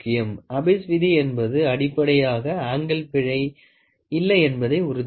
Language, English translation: Tamil, So, Abbe’s law is basically to make sure that there is no angle error in the measurement